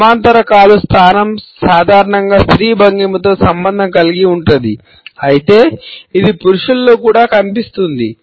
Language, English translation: Telugu, The parallel leg position is normally related with a feminine posture, but nonetheless it can be found in men also